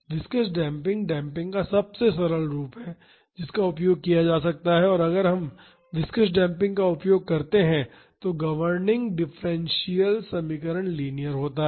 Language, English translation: Hindi, Viscous damping is the simplest form of damping which can be used and the governing differential equation, if we use viscous damping is linear